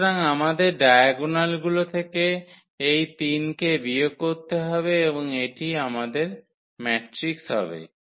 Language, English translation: Bengali, So, we have to subtract this 3 from the diagonal entries and that will be our matrix here